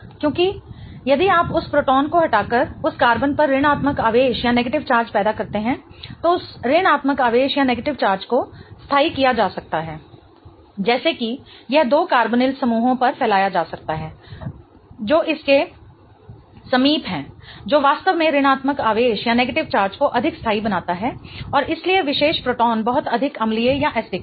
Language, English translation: Hindi, Because if you create a negative charge on that carbon by removing that proton, then that negative charge can be stabilized such that it can be spread on two carbonyl groups which are adjacent to it which really makes the negative charge much more stable and hence that particular proton much more acidic